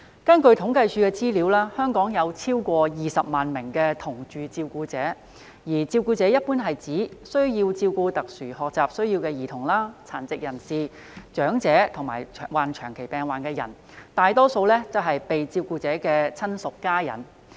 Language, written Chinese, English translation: Cantonese, 根據政府統計處的資料，香港有超過20萬名"同住照顧者"，而照顧者一般是指需要照顧有特殊學習需要的兒童、殘疾人士、長者及長期病患人士的人，大多數為被照顧者的親屬/家人。, According to the Census and Statistics Department there are over 200 000 live - in carers in Hong Kong . For carers they generally refer to those who need to take care of children with special education needs persons with disabilities elderly persons and persons with chronic diseases . Most of them are the relativesfamily members of the care recipients